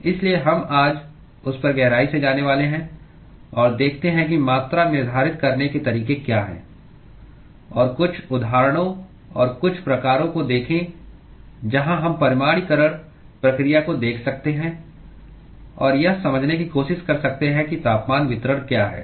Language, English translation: Hindi, So, we are going to go deep into that today and look at what are the ways to quantify and look at certain examples and certain types where we can look at the quantification process and try to understand what is the temperature distribution